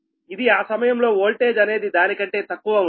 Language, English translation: Telugu, at that time this voltage will be less than this one, right